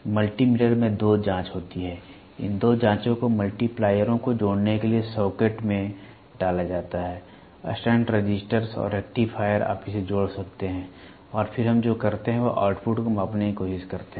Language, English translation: Hindi, Multi meter is use you have two probes, these two probes are put into the socket for connecting multipliers; stunt resistors and rectifiers you can connect it and then what we do is we try to measure the output